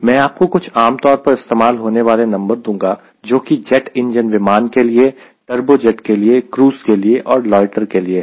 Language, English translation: Hindi, i am using typical values for jet engine aircraft, pure turbojet, for cruise and for loiter